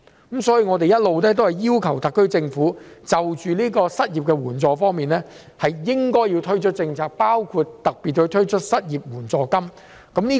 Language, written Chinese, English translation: Cantonese, 因此，我們一直要求特區政府應就失業援助推出政策，包括特別推出失業援助金。, Hence we have been urging the Government to devise policies in regard to unemployment relief including an unemployment allowance